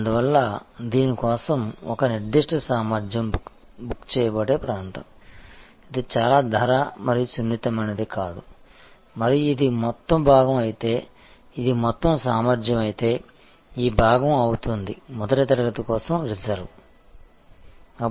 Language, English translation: Telugu, Therefore, this is the area where a certain capacity will be booked for this, this is not very price and sensitive and this will be a this part of the if this is the total capacity if this is the total capacity, then this part will be reserve for first class